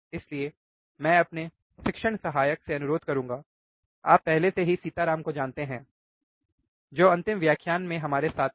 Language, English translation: Hindi, So, I will request my teaching assistant, you already know him Sitaram who was us with us in the last lectures right